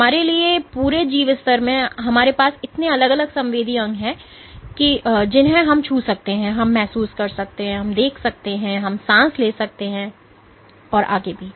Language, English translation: Hindi, So, for us at the whole organismic level we have so many different sensory organs we can touch, we can feel, we can see, we can we can breathe so on and so forth